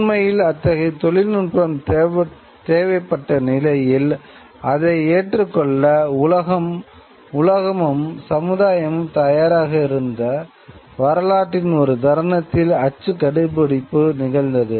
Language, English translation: Tamil, So, the discovery of print actually takes place in a moment of history when the world, when the society was already prepared or needed such a technology